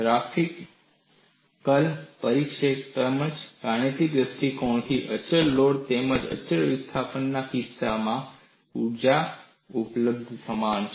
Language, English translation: Gujarati, So, from a mathematical perspective, the energy availability in the case of both constant loading and constant displacement is same